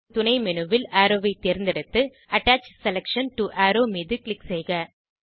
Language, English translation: Tamil, In the Submenu select Arrow and Click on Attach selection to arrow